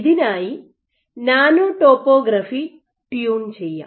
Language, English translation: Malayalam, You may want to tune nano topography